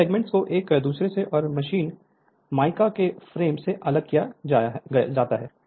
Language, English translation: Hindi, These segments are separated from one another and from the frame of the machine by mica strip right